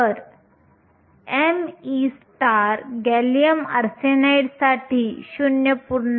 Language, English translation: Marathi, So, m e star for gallium arsenide is 0